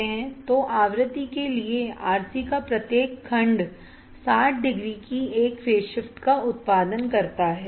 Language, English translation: Hindi, So, for a frequency each section of RC produces a phase shift of 60 degree